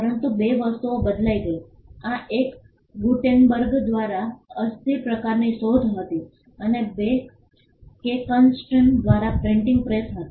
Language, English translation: Gujarati, But two things changed, this one was the invention of the movable type by Gutenberg and two the printing press by Caxton